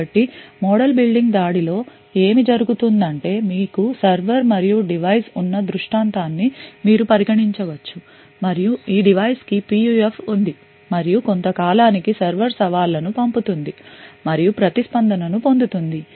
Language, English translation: Telugu, So within a model building attacks what happens is that you could consider a scenario where you have a server and a device, and this device has a PUF and the server over a period of time is sending challenges and obtaining response